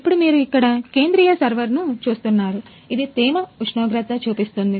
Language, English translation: Telugu, Now, coming to the central server as you can see here, it is show showing humidity, temperature